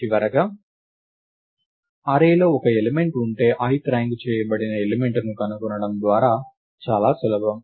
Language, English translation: Telugu, Finally, if the array has a single element to find the ith ranked element is extremely easy right